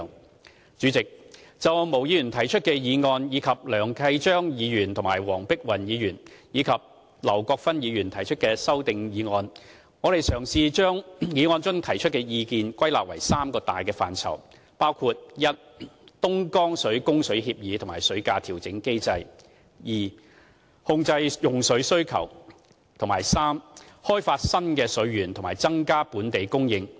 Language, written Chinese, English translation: Cantonese, 代理主席，就毛議員提出的議案，以及梁繼昌議員、黃碧雲議員和劉國勳議員提出的修正案，我嘗試把當中提出的意見歸納為三大範疇，包括 a 東江水供水協議及水價調整機制 ；b 控制用水需求；及 c 開發新的水源和增加本地供應。, Deputy President regarding the motion proposed by Ms MO and the amendments proposed by Mr Kenneth LEUNG Dr Helena WONG and Mr LAU Kwok - fan I have tried to group the views found in them into three categories which are a Dongjiang water supply agreement and water price adjustment mechanism; b control over water demand; and c development of new water resources and increase in local supply